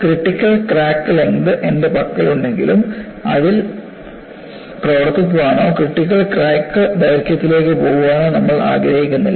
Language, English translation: Malayalam, Though I have what is known as critical crack length, we do not want to operate or go up to a critical crack length